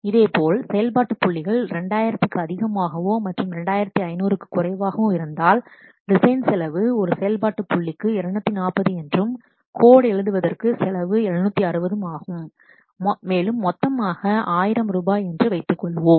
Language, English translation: Tamil, Similarly, the function points greater than 2000 and less than 2,500 design cost is 240, coding cost per function point is 760 and so total is 1,000 rupees